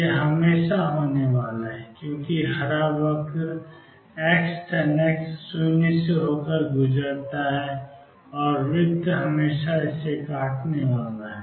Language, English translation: Hindi, This is always going to be there because the green curve x tangent x passes through 0 and the circle is always going to cut it